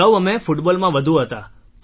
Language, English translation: Gujarati, Earlier we were more into Football